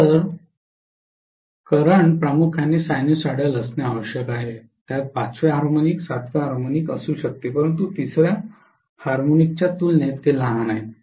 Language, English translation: Marathi, So the current has to be primarily sinusoidal, it may have fifth harmonic, seventh harmonic but those are minuscule as compared to third harmonic